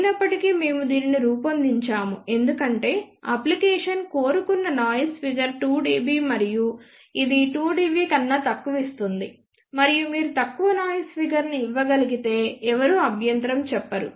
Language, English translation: Telugu, However, we fabricated this because for one of the application desired noise figure was 2 dB and this gives lower than 2 dB, and nobody will of course, object if you give a lower noise figure